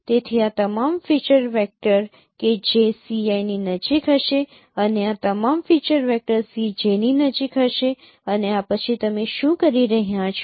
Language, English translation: Gujarati, So all these feature vectors that would be close to CI and all this feature vectors that would be close to say C